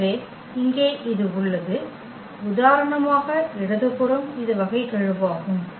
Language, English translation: Tamil, So, here we have this; the left hand side for example, this is the derivative term